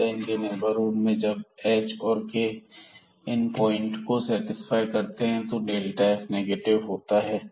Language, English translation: Hindi, So, in their neighborhood when this h and k satisfies these points then we have this delta f negative